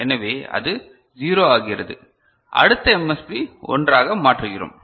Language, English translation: Tamil, So, it becomes 0 and we make next MSB 1 is it fine